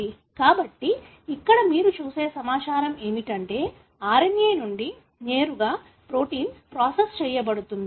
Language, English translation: Telugu, So, therefore here what you see is the information is processed directly from RNA to protein